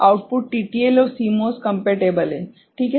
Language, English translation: Hindi, Output is TTL and CMOS compatible ok